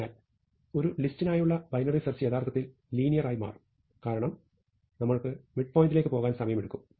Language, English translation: Malayalam, So, binary search for a list will actually turn out be linear, because of the time it takes us to go to the midpoint